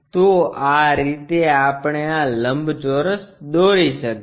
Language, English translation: Gujarati, So, in that way we can construct this rectangle